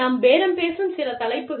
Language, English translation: Tamil, Some topics, that we bargain about